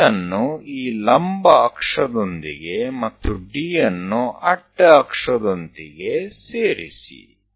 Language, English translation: Kannada, Join C onto this axis vertical axis join D with horizontal axis